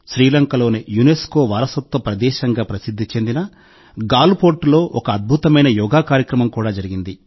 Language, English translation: Telugu, A memorable Yoga Session was also held at Galle Fort, famous for its UNESCO heritage site in Sri Lanka